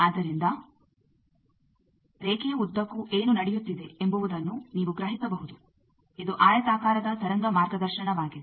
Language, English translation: Kannada, So, you can sense what is happening along the line, this is the rectangular wave guides thing